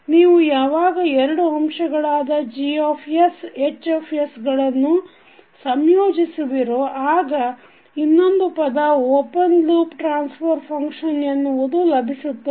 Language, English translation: Kannada, When you combine Gs into Hs you get another term called open loop transfer function